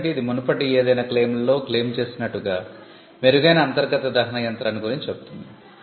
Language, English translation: Telugu, it says an improved internal combustion engine as claimed in any of the preceding claims